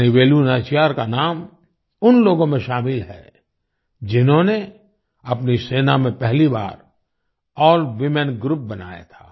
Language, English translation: Hindi, The name of Rani Velu Nachiyar is included among those who formed an AllWomen Group for the first time in their army